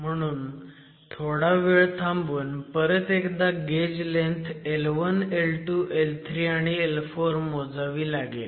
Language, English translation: Marathi, So, you wait for some time and then re measure the gauge length L1, L2, L3 and L4